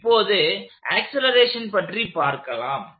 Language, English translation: Tamil, So, now, let us get to the acceleration part